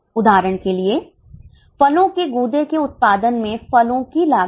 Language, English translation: Hindi, For example, cost of fruits in fruit pulp production